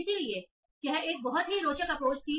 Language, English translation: Hindi, So that was very interesting approach